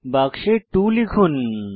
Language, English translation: Bengali, Enter 2 in the box